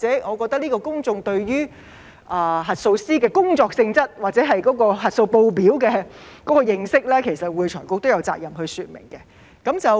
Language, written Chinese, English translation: Cantonese, 我覺得公眾對於核數師的工作性質或核數報表的認識，會財局都有責任說明。, I think it is the responsibility of AFRC to explain to the public the job nature of auditors or how to read auditors statements